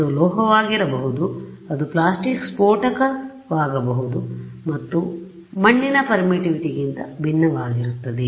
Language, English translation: Kannada, It could be a metal, it could be plastic explosive or whatever is different from the permittivity of mud